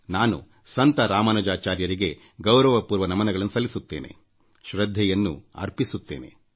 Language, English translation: Kannada, I respectfully salute Saint Ramanujacharya and pay tributes to him